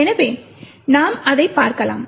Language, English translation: Tamil, So, let us actually look at it